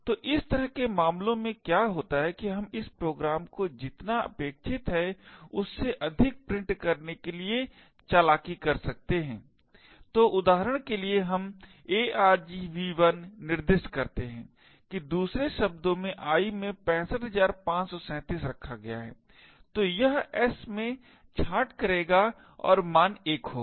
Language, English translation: Hindi, So what happens in such cases is that we can trick this program to print more than what is expected, so for example suppose we specify that argv1 in other words i is say 65537 this will cause s to get truncated and have the value of 1